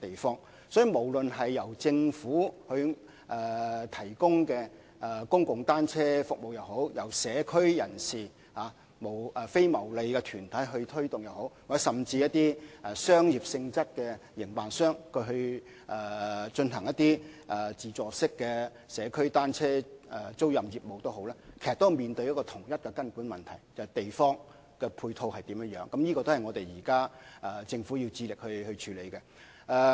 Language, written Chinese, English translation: Cantonese, 因此，無論是政府提供的公共單車租用服務，或是由社區人士及非牟利團體推動的服務，甚至是以商業性質營辦的自助社區單車租賃業務，其實均面對同一根本問題，就是土地的配套，而這亦是政府現時要致力處理的問題。, Therefore whether we talk about a public bicycle rental service run by the Government or a rental service promoted by community and non - profit making organizations or even an automated community bicycle rental service run on a commercial basis the fundamental issue is still about the need to provide land support which is also the problem that the Government is trying to address now